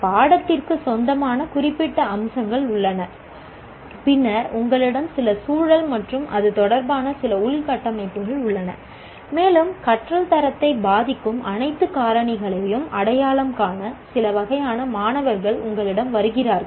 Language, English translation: Tamil, Take a course, there is a, that subject has its own particular features and then you have certain context and some infrastructure related to that and you have certain type of students coming to you, identify all the factors that lead to, that influence the quality of learning